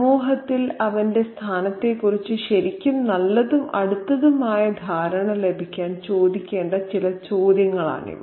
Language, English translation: Malayalam, So, these are some of the questions that need to be asked to get a really good close understanding of his place in society